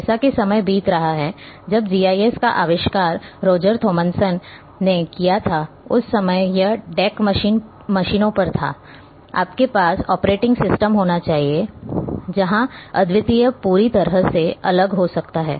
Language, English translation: Hindi, As time is passing when GIS was invented by Roger Thomlinson, at that time it was on deck machines you have to there operating system where altogether different may be unique or some other operating system